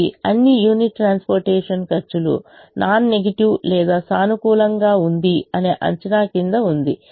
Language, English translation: Telugu, this is under the assumption that all the unit transportation costs are non negative or positive